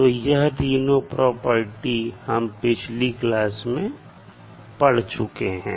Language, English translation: Hindi, So these three we discussed in the last class